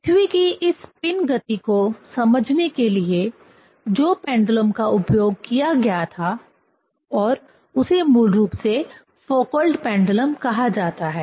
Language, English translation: Hindi, This is about to sense the spinning motion of the earth, the pendulum was used and that basically called Foucault pendulum